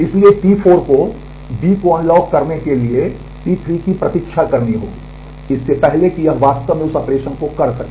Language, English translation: Hindi, So, T 4 has to wait for T 3 to unlock B before it can actually do that operation